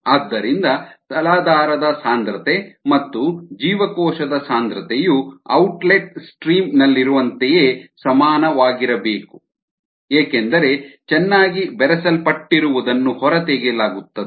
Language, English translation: Kannada, so the substrate concentration and the cell concentration here need to be the same as in the outlet stream, because what is being inside well makes is being pulled out